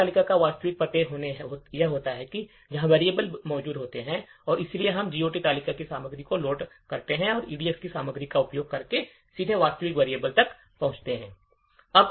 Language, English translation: Hindi, The GOT table contains the actual addresses where the variables are present and therefore we load the content of the GOT table and access the actual variable directly using the contents of the EDX